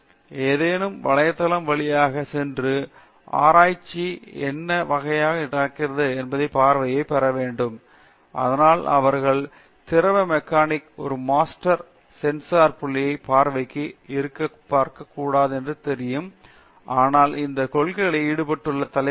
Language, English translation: Tamil, It is better to go through a website and then get familiar at least have some glance, what kind of research is going on, so that they know that they should not be looking from a fluid mechanic a master sensor point of view, but look at topics where this principles are involved